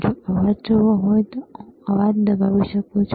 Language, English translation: Gujarati, If want to see noise, then I can press noise